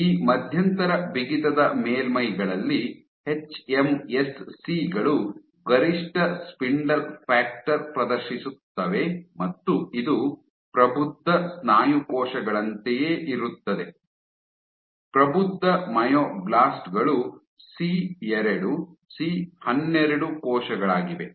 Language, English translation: Kannada, So, on this intermediate stiffness surfaces hMSCs exhibited the maximum spindle factor and this was similar to that of mature muscle cells, mature myoblasts which was C2C12 cells